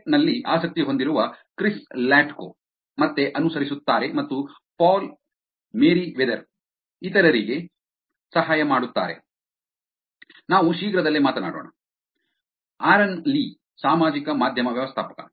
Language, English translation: Kannada, Chris Latko, interested in Tech, will follow back and Paul Merriwether, helping others, let us talk soon; Aaron lee, social media manager